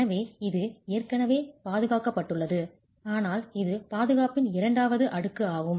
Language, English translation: Tamil, So, it is already protected but this is the second layer of protection